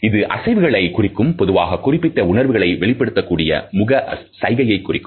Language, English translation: Tamil, So, they are the movements, usually facial gestures which display specific emotion